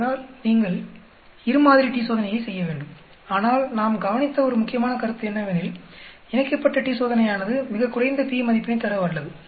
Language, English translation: Tamil, So you have to do a two sample t Test, but one important point we also noticed is paired t Test is able to give a very low p value